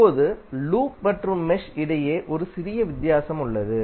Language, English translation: Tamil, Now, there is a little difference between loop and mesh